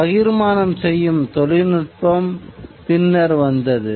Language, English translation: Tamil, The distribution mechanism came later